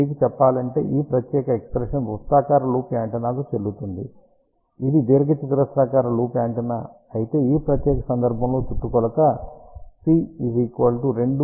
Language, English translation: Telugu, ah I just to tell you this particular expression is valid for circular loop antenna; however, if it is a rectangular loop antenna, in that particular case circumference will be equal to 2 times l plus w